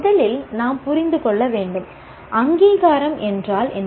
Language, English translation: Tamil, First of all, we need to understand what is accreditation